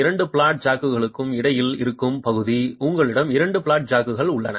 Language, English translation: Tamil, You have two flat jacks and you have an area between the two flat jacks